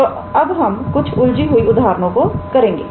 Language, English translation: Hindi, So, now we can go to a bit complicated examples